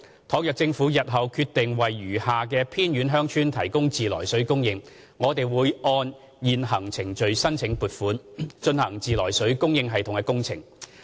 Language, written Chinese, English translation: Cantonese, 倘若政府日後決定為餘下的偏遠鄉村提供自來水供應，我們會按現行程序申請撥款，進行自來水供應系統工程。, Should the Government decide to provide treated water supply to the remaining remote villages in future we will submit funding applications for implementing treated water supply systems in accordance with the established procedures